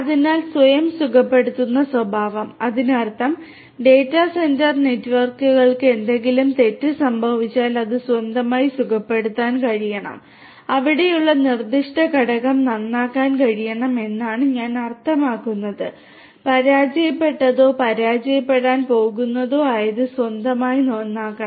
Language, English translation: Malayalam, So, self healing behaviour; that means, that the data centre network if anything goes wrong should be able to heal on it is own should be able to repair the particular component that is there I mean whatever has failed or is going to fail should be repaired on it is own that is basically the self healing property of a data centre network